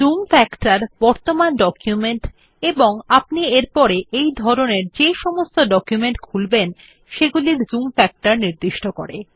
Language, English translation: Bengali, The Zoom factor sets the zoom factor to display the current document and all documents of the same type that you open thereafter